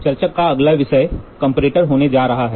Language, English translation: Hindi, So, the next topic of discussion is going to be Comparator